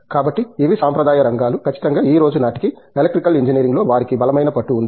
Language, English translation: Telugu, So, these are traditional areas, definitely they do have a strong hold in Electrical Engineering as on today